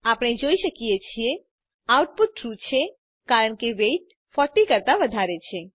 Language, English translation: Gujarati, As we can see, the output is False because the value of weight is not equal to 40